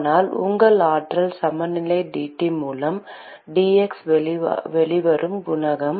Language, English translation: Tamil, so that is the coefficient that comes out in your energy balance into dT by dx